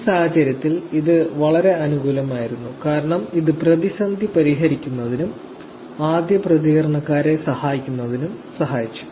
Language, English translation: Malayalam, In this case it is very positive because it helps in actually solving crisis and help in first responder